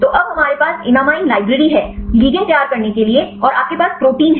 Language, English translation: Hindi, So, now we have the enamine library; to prepare the ligands and you have the protein